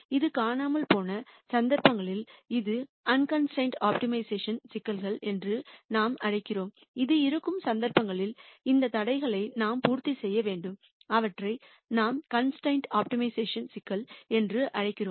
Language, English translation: Tamil, In cases where this is missing we call this as unconstrained optimization problems, in cases where this is there and we have to have the solution satisfy these constraints we call them as constrained optimization problems